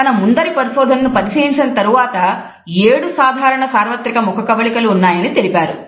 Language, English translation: Telugu, However, later on he revised his previous research and suggested that there are seven common universal facial expressions